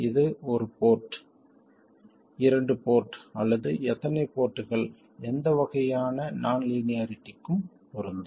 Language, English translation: Tamil, This is true for one port two port or any number of ports, any kind of non linearity